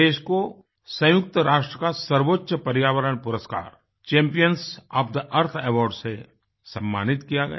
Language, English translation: Hindi, The highest United Nations Environment Award 'Champions of the Earth' was conferred upon India